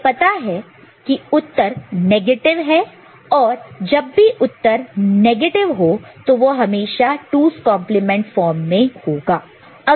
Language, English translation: Hindi, We know the answer is negative and when the answer is negative, it is in 2’s complement form